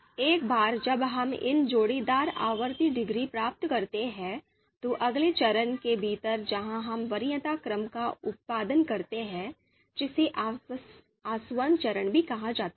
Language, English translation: Hindi, So once we get these pairwise outranking degrees, you know so there are you know within the next phase where we produce the preference order, also referred as distillation you know phase